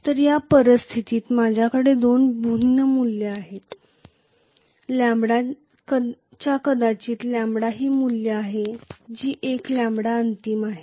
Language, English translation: Marathi, So under this situation I will have actually two different values of lambda maybe this is of one lambda value which is the final lambda